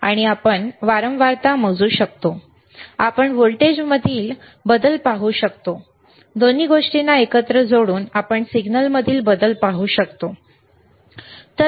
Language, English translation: Marathi, And we can measure the frequency, we can see the change in voltage, we can see the change in signal by connecting both the things together, all right